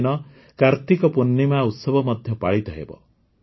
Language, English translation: Odia, This day is also Kartik Purnima